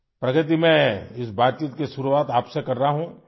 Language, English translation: Urdu, Pragati, I am starting this conversation with you